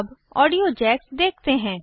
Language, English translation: Hindi, Now, lets look at the audio jacks